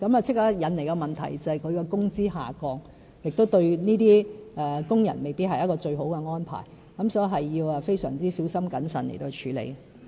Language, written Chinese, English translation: Cantonese, 但建議立刻引來工資下降的問題，對工人來說未必是一個最好的安排，所以這個問題要非常小心謹慎地處理。, Yet the suggestion immediately led to the problem of wage reduction and it might not be the best arrangement for them . Hence we must handle this issue very carefully and prudently